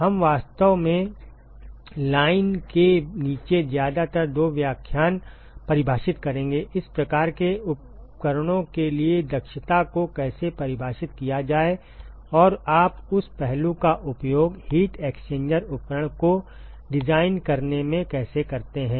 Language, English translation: Hindi, We will actually define mostly two lectures down the line, how to define efficiency for these kinds of equipments and how do you use that aspect into designing the heat exchanger equipment